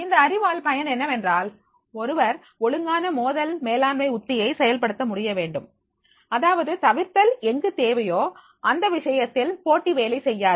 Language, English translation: Tamil, The use of this knowledge is that one should be able to execute the proper conflict management strategy where the evidence is required, then in that case the competitive will not work